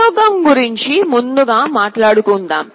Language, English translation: Telugu, Let us talk about the experiment first